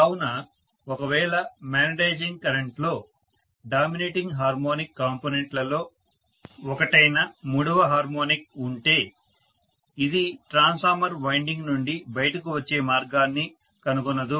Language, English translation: Telugu, So if there is a third harmonic component which is one of the dominating harmonic components in the magnetizing current that will not find the path to flow out of the transformer winding